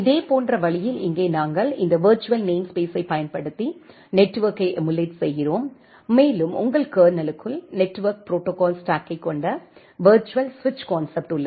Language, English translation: Tamil, In a similar way here we are emulating the network using this virtual namespace, and a virtual switch concept where the network protocol stack implementation is there inside your kernel